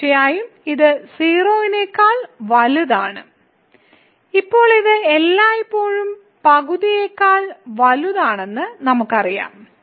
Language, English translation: Malayalam, So, certainly this is greater than 0 and also now because we know that this is always greater than half